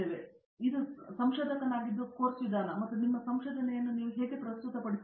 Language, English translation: Kannada, So, it is making of a researcher, the methodology course and how do you present your research